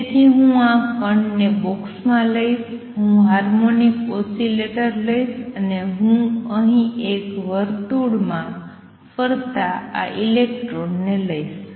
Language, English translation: Gujarati, So, I will take this particle in a box, I will take the harmonic oscillator and I will take this electron going around in a circle here